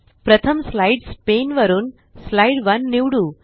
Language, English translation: Marathi, First, from the Slides pane, lets select Slide 1